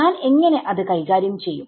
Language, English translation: Malayalam, So, how do I deal with it